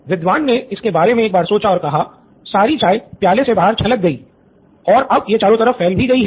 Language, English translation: Hindi, The scholar thought about it and said well the all the tea spilled out, it is all around